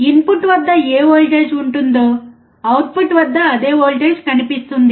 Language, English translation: Telugu, Whatever voltage will be at the input, same voltage will appear at the output